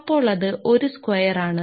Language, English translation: Malayalam, So, that is should be 1 square